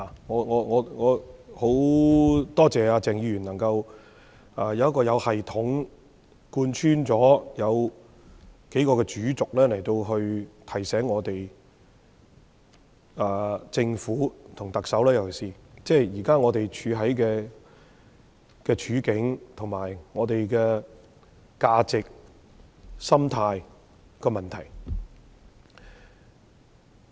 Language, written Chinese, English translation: Cantonese, 我很感謝鄭議員，他發言時有系統地貫穿數個主軸，以提醒我們及政府——尤其是特首，現時香港的處境、價值和心態等問題。, I thank Dr CHENG very much for making a speech which has systemically covered several main themes with a view to reminding us and the Government the Chief Executive in particular of the current situation values mentality etc of Hong Kong